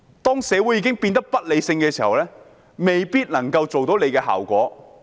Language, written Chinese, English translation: Cantonese, 當社會已經變得不理性時，未必能夠達到預期的效果。, When society has become irrational it may not be able to achieve the desired effect